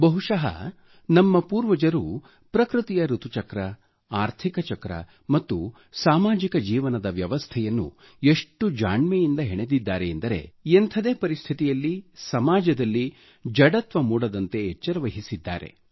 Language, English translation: Kannada, Perhaps our ancestors intricately wove the annual seasonal cycle, the economy cycle and social & life systems in a way that ensured, that under no circumstances, dullness crept into society